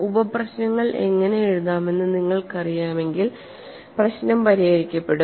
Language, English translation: Malayalam, So once you know how to write sub problem, the problem is solved